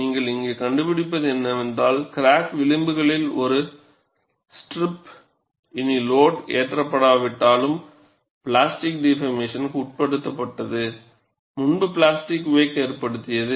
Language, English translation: Tamil, So, what you find here is, a strip of material along the crack edges, though no longer loaded, but has undergone plastic deformation previously, constitutes the plastic wake